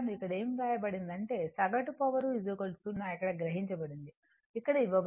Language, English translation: Telugu, What it has been written here that, the average power absorbed is equal to 0 that is here it is given